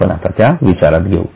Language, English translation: Marathi, We will just take into account